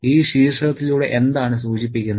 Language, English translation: Malayalam, What is hinted at through this title